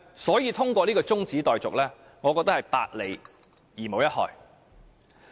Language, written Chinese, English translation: Cantonese, 所以我覺得通過中止待續議案，有百利而無一害。, Hence I think passing the motion to adjourn the debate will bring nothing but merits